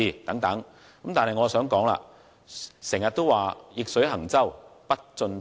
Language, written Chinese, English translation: Cantonese, 然而，我想指出，常言道：逆水行舟，不進則退。, However as the saying goes if we do not keep forging ahead we will be driven back